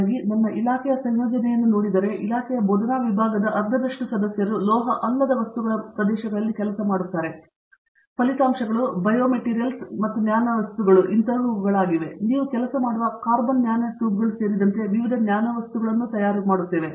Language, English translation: Kannada, So, if I now look at the composition of my department, half of the department faculty members work on non metallic materials areas and as a result materials such as, biomaterials, nanomaterials okay; variety of nanomaterials including carbon nanotubes which you yourself work on